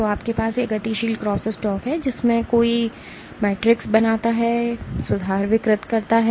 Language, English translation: Hindi, So, you have this dynamic crosstalk in which one makes the matrix and reforms deforms it